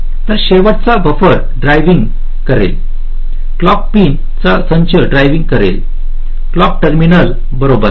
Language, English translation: Marathi, so the last buffer will be driving, driving a set of clock pins, clock terminals